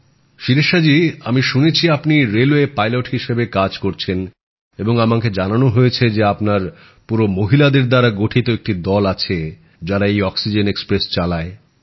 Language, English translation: Bengali, Shirisha ji, I have heard that you are working as a railway pilot and I was told that your entire team of women is running this oxygen express